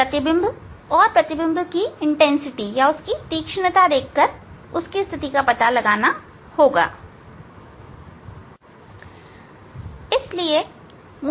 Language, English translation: Hindi, Seeing the image, sharpness of the image I can find out the two position of the lens